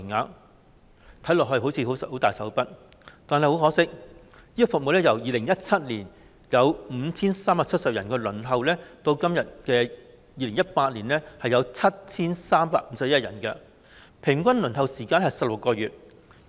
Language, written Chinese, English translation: Cantonese, 看起來，政府似乎很大手筆，但很可惜，這項服務已由2017年有 5,370 人輪候增至2018年有 7,351 人，平均輪候時間是16個月。, It seems that the Government is very generous but unfortunately the waiting queue for this service has increased from 5 370 people in 2017 to 7 351 in 2018 with an average waiting time of 16 months